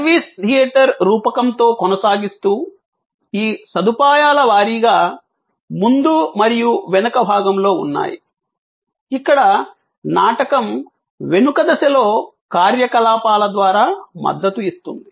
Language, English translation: Telugu, Continuing with the service theater metaphor, that there are these facility wise front and back, where the drama unfolds, supported by activities at the back stage